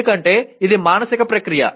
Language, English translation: Telugu, Because it is a mental process